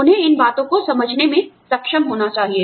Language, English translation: Hindi, They should be able to understand, these things